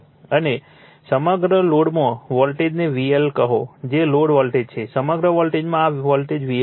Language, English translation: Gujarati, And across the load, the voltage is say V L that is the load voltage; across the load, this voltage is V L right